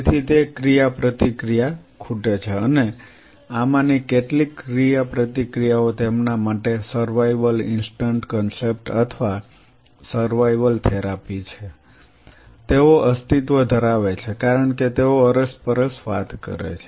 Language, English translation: Gujarati, So, that interaction is going to be missing and some of these interactions are survival instant concept or survival therapies for them, they survival because they crosstalk they interact